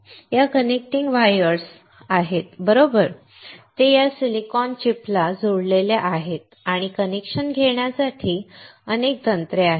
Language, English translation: Marathi, These connecting wires right, they are connected to this silicone chip and there are several techniques to take connection